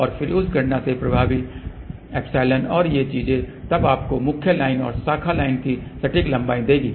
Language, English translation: Hindi, And then from that calculate epsilon effective and these things will then give you the exact length of the main line and branch line